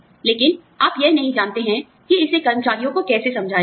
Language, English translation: Hindi, But, you do not know, how to explain it, to employees